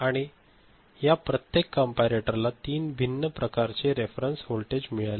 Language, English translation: Marathi, And each of this comparator has got 3 different kind of reference voltages ok